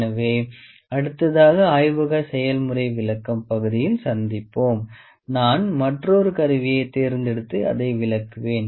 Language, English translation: Tamil, So, next we will meet in the next part of the laboratory demonstration only I will pick another instrument and explain that